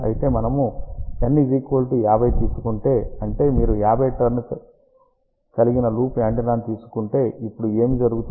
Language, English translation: Telugu, However, if we take N equal to 50; that means, you take 50 turns loop antenna, let us see now what happens